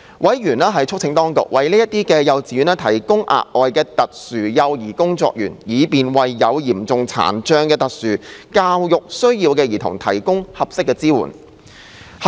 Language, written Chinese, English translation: Cantonese, 委員促請當局為這些幼稚園提供額外特殊幼兒工作員，以便為有嚴重殘障的特殊教育需要兒童提供合適支援。, Members urged the Administration to provide additional special child care workers for these kindergartens so as to enhance rehabilitation training and assist such kindergartens in providing suitable support for these children with severe disabilities and special educational needs